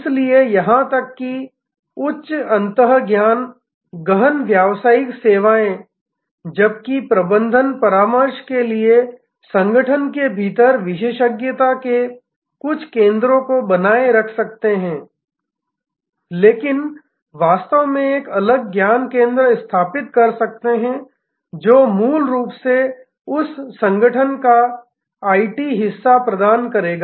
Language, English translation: Hindi, So, even very high end knowledge intensive business services, while for management consultancy may retain certain centres of expertise within the organization, but quite likely may actually set up a separate knowledge centre which will provide fundamentally the IT part of that organization